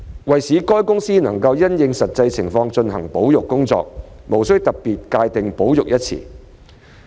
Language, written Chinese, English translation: Cantonese, 為使海洋公園公司能因應實際情況進行保育工作，無須特別界定"保育"一詞。, In order to enable OPC to undertake its conservation work according to the actual circumstances it is not necessary to specifically define the term conservation